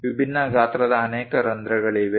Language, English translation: Kannada, There are many holes of different sizes